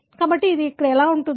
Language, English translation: Telugu, So, this is how it is